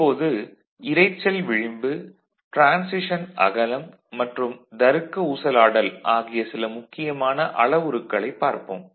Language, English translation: Tamil, Now, we come to some important parameters noise margin, transition width and logic swing ok